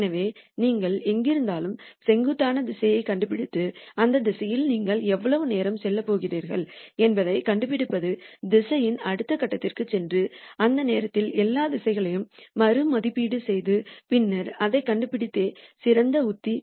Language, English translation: Tamil, So, smarter strategy would be to find the steepest direction at wherever you are and then find how long you are going to move along this direction, go to the next point in the direction and then at that point reevaluate all the directions, and then nd new steepest descent direction